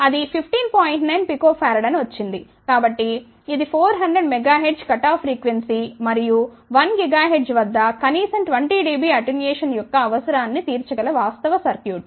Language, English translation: Telugu, So, this is the actual circuit which will meet the requirement of the 400 megahertz cut off frequency and at least 20 dB attenuation at one gigahertz